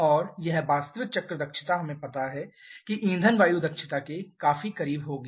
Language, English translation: Hindi, And this actual cycle efficiency we know that will be quite close to the fuel efficiency